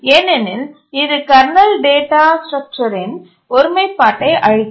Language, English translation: Tamil, The answer is no because that will destroy the integrity of the kernel data structures